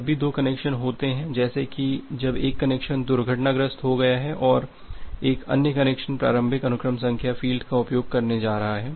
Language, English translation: Hindi, Whenever there are two connections like whenever one connection has crashed and another connection is going to going to use a initial sequence number field